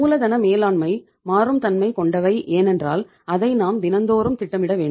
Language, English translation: Tamil, Management of working capital is quite dynamic in nature because you sometime you have to plan on daily basis